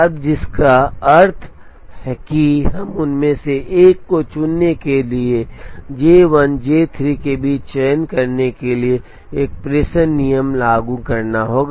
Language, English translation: Hindi, Now, which means we have to apply a dispatching rule to choose between J 1 and J 3 to choose one of them